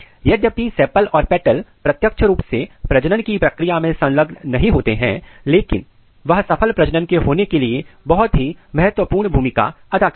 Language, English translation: Hindi, So, though sepals and petals they do not directly involved in the process of reproduction, but they play a very very important role in successful completion of the reproduction